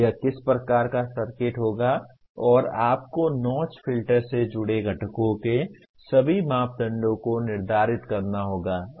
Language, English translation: Hindi, What kind of circuit it would be and then you have to determine all the parameters of the components associated with the notch filter